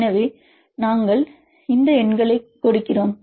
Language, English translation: Tamil, So, this is the reason why the numbers are less